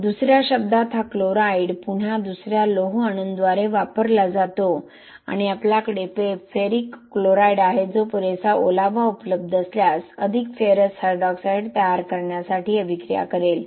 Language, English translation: Marathi, So in other words this chloride is again used by another you know iron atoms and you have ferric chloride which is again ferric chloride which will then if there is sufficient moisture available react to produce more ferrous hydroxide